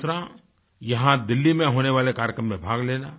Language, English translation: Hindi, Alternatively, they can be part of the program being conducted here in Delhi